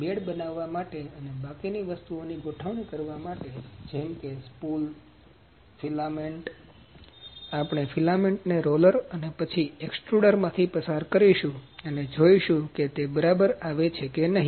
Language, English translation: Gujarati, To prepare the bed and to set up all the things like spool, filament we will induce, we will in filament through the rollers that would come through the extruder and we will try to see that whether it comes properly or not